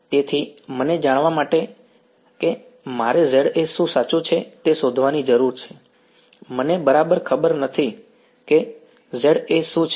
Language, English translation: Gujarati, So, for me to know that I need to find out what Za is right I do not exactly know what Za is